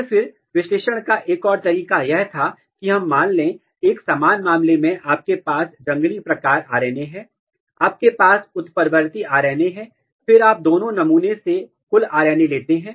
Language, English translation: Hindi, And then, another way of analysis was that let us assume, the similar case you have wild type RNA, you have mutant RNA and then you take total RNA from both the sample